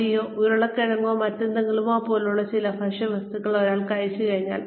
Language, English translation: Malayalam, After, one has consumed, certain food items like, rice or potatoes or whatever